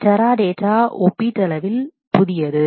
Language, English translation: Tamil, Teradata is relatively new